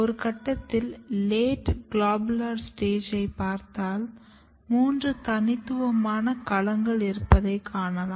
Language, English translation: Tamil, And at some stage for example, if you look at late globular stage, you can see there are three domains, three distinct domains